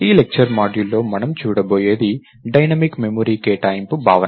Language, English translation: Telugu, in this lecture, we are going to look at what is called Dynamic Memory Allocation